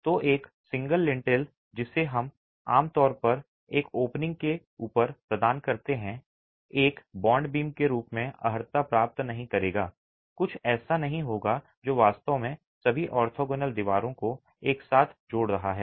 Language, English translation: Hindi, So a single lintel which we typically provide above an opening will not qualify as a bond beam, will not qualify as something that is actually connecting all the orthogonal walls together